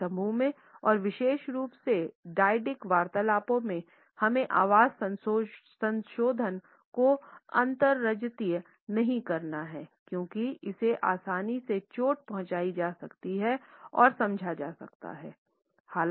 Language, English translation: Hindi, In the small groups and particularly in dyadic conversations we do not have to exaggerate voice modulations because it could be easily hurt and understood